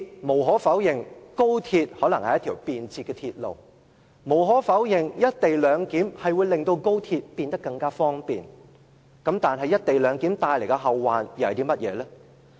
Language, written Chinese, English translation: Cantonese, 無可否認，高鐵可能是一條便捷的鐵路；無可否認，"一地兩檢"會令高鐵變得更方便；但"一地兩檢"帶來的後患又是甚麼呢？, It is true that XRL might be a convenient railway; it is also true that the co - location arrangement will bring convenience to XRL users . But what are the repercussions of the co - location arrangement?